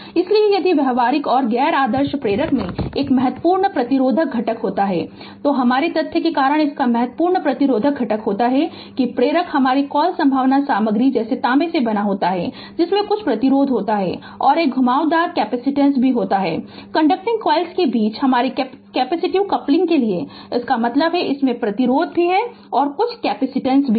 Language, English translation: Hindi, So, if practical and non ideal inductor has a significant resistive component, it has significant resistive component due to the your fact that the inductor is made of a your what you call conducting material such as copper, which has some resistance and also has a winding capacitance due to the your capacitive coupling between the conducting coils; that means, it has resistance also some capacitance is there right